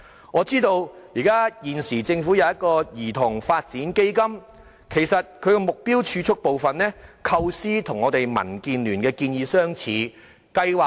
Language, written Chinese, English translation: Cantonese, 我知道現時政府設有"兒童發展基金"，其中目標儲蓄部分的構思與我們民主建港協進聯盟的建議相似。, I am aware of the Child Development Fund already put in place by the Government of which the idea of targeted savings is similar to the proposal made by us in the Democratic Alliance for the Betterment and Progress of Hong Kong DAB